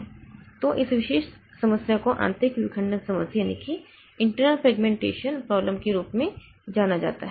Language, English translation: Hindi, So, uh, this particular problem is known as the internal fragmentation problem